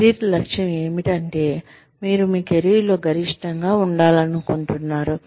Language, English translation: Telugu, Career objective is, what you want to be, at the peak of your career